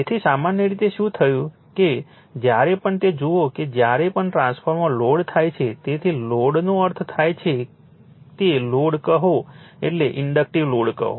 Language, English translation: Gujarati, So, generally what happened that whenever look at that whenever a transformer your what you call is loaded, so load means say it load means say inductive load